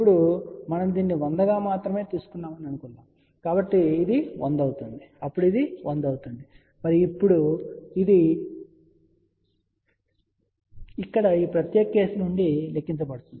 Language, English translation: Telugu, Now, suppose if we had taken this as 100 only, so this would be 100 then this will be 100 and now this is going to be calculate from this particular case here